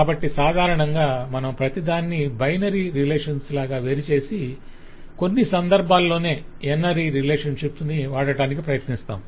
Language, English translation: Telugu, so normally we will try to decompose everything in terms binary relation and at times use ternary relation